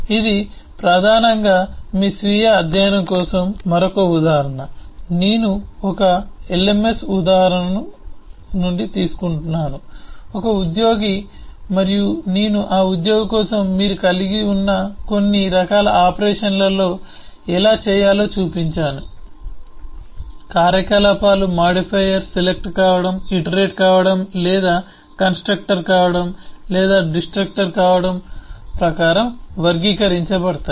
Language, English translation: Telugu, I have taken the eh an object instance from the lms example, an employee, and I have shown that for that employee, all that different kind of some of the operations that you can have, how those operations are classified according to being a modifier, being a selector, being an iterator or being a constructor or being a destructor